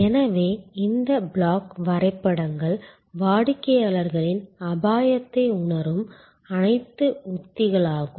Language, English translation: Tamil, So, these block diagrams are all the strategies that respond to the customer's perception of risk